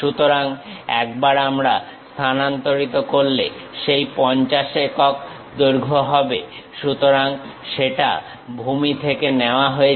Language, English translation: Bengali, So, once we transfer that 50 units is the length, so that is from the base